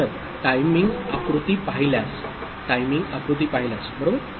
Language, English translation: Marathi, So, if will look at a timing diagram, right